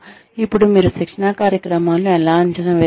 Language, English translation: Telugu, How do you evaluate, training programs